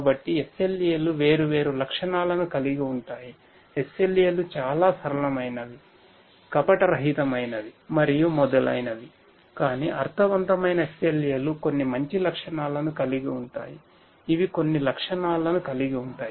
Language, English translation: Telugu, So, SLAs have different different features SLAs can be very simple, naive, and so on, but meaningful SLAs will have certain good characteristics certain characteristics which are desirable